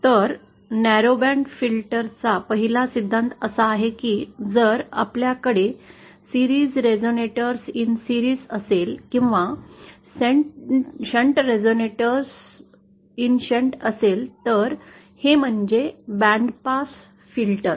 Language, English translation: Marathi, So the 1st principle of a narrowband filter is that if we have a series resonator in series or shunt resonate in shunt, this gives rise to a band pass filter